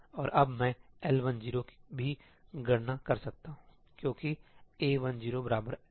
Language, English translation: Hindi, And now I can also compute L 1 0 because A 1 0 is equal to L 1 0 U 0 0